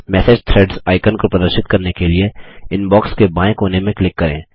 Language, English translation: Hindi, Click on the Click to display message threads icon in the left corner of the Inbox